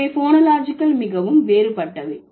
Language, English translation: Tamil, So, phonologically they are very different